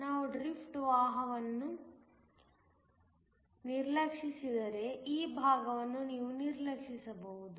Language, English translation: Kannada, If we ignore the drift current, so that this part we ignore